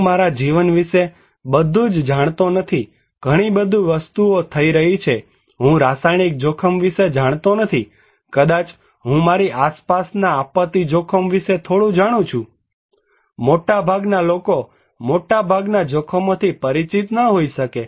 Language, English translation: Gujarati, I do not know what everything in my life, there is so many things are happening, I do not know about a chemical risk maybe I know little about disaster risk around me, most people cannot be aware of the most of the dangers most of the time